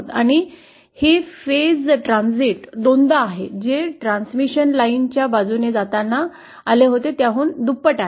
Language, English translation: Marathi, And the phase transit is twice the phase transit of as of that what we encountered while going along the transmission line